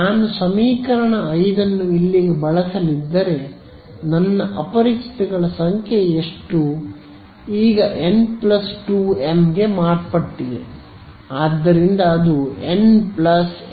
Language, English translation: Kannada, If I am going to use this equation 5 over here my number of unknowns has now become